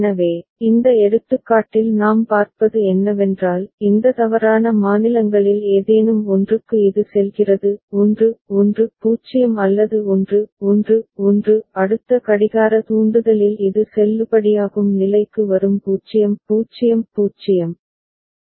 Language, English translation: Tamil, So, in this example what we see is that for one of for any of these invalid states, it goes 1 1 0 or 1 1 1 in the next clock trigger it comes to one of the valid state which is the 0 0 0